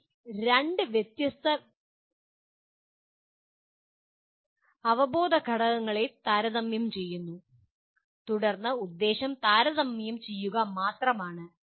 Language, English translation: Malayalam, You are comparing two different knowledge elements and then the purpose is only comparing